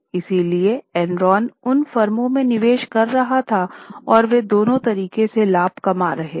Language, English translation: Hindi, So, Enron was making investment in those firms and they were making profits from both the ways